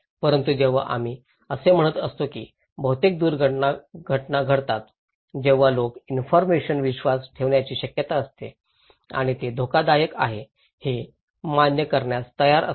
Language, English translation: Marathi, But when we are saying that, that much of casualty happened people are more likely to believe the information, ready to accept that this is risky